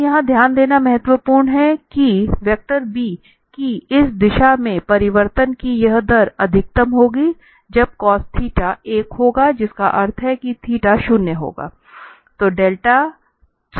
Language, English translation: Hindi, Now, it is important to note here that this rate of change in this direction of vector b will be maximum when the cos theta will be one that means the theta will be 0